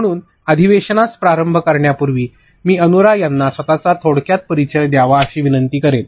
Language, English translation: Marathi, So, before we get started with the session, I would request Anura to briefly introduce herself